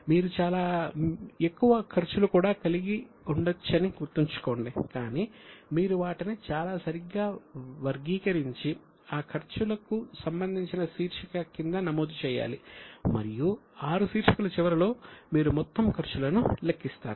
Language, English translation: Telugu, Keep in mind, you can have more expenses also, but you would put them under the most appropriate head and at the end of the six items you calculate the total expenses